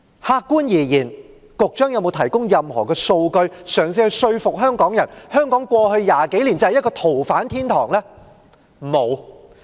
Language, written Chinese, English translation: Cantonese, 客觀而言，局長有否提供任何數據嘗試說服香港人，香港過去20多年就是一個逃犯天堂呢？, Objectively speaking has the Secretary provided any figures to convince Hong Kong people that Hong Kong has become a haven for fugitive offenders over the past 20 years or so?